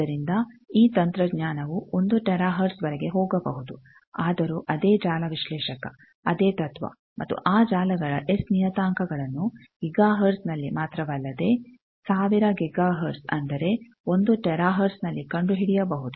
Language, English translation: Kannada, So, you see that these technology can go up to 1 tera hertz, still these same network analyzer, the same principle they were and they find out the S parameters of those networks even up to not only in Giga hertz, 1000 Giga hertz that is 1 tera hertz